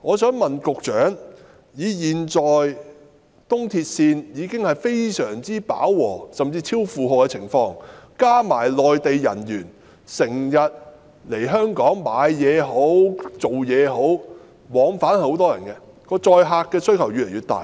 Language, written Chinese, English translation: Cantonese, 現時東鐵線已經非常飽和，甚至出現超負荷的情況，加上內地人經常來港購物或工作，每天有很多人往返，東鐵線載客需求越來越大。, At present ERL already operates to its full capacity and is even overloaded . As more Mainland people are coming to Hong Kong for shopping or working purpose there are a large number of passengers in both directions and the passenger demand for ERL is getting greater